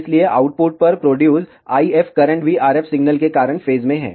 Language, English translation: Hindi, So, the IF currents produced at the output are also in phase because of the RF signal